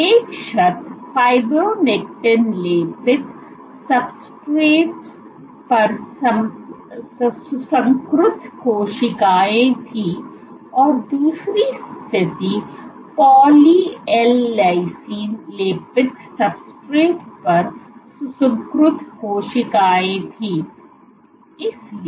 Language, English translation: Hindi, So, one condition was cells cultured on fibronectin coated substrates and the other condition was cells cultured on poly L lysine coated substrates